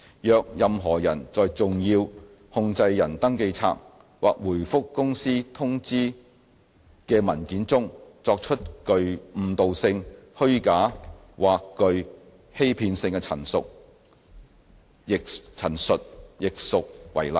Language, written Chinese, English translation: Cantonese, 若任何人在"重要控制人登記冊"或回覆公司通知的文件中作出具誤導性、虛假或具欺騙性的陳述，亦屬違例。, If any person makes a statement which is misleading false or deceptive in a SCR or in a document replying to a companys notice it will also be an offence